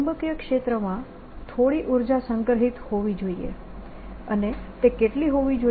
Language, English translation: Gujarati, there should be a some energy stored in the magnetic field, and what should it be